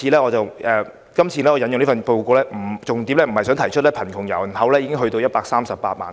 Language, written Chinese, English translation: Cantonese, 我今次引用該份報告，重點不在於提出貧窮人口已上升至138萬。, In citing the report this time around I seek not to stress that the poor population has risen to 1.38 million